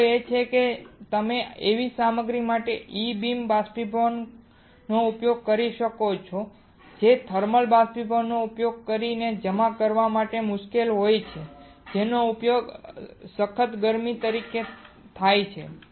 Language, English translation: Gujarati, The point is that you can use E beam evaporation for the materials which are difficult to be deposited using thermal evaporator using as a stiff heating alright